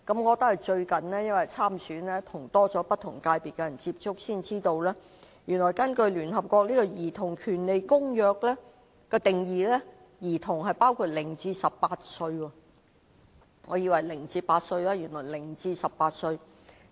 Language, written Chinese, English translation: Cantonese, 我因最近參選，與不同界別的人接觸多了，才知道原來根據聯合國《兒童權利公約》的定義，兒童是指0至18歲，我以為是0至8歲。, Since I have stood for an election recently I have had more contact with members in various sectors . I then learnt that according to the definition of the Convention on the Rights of the Child children refer to persons aged between zero and 18 . I thought it was children between zero and eight years of age before that